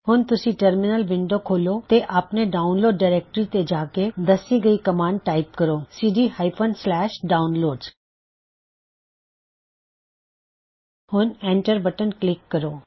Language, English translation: Punjabi, In the Terminal Window go to the Firefox directory by typing the following command cd firefox Now press the Enter key